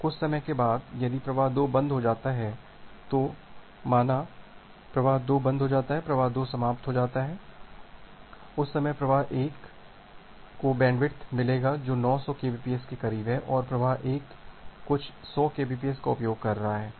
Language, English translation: Hindi, Now, after some time if flow 2 stops, then flow 1 say flow 2 gets stops, flow 2 flow 2 finishes, at that time flow 1 will get the bandwidth which is close to 900 m, 900 kbps and flow 1 is utilizing some 100 kbps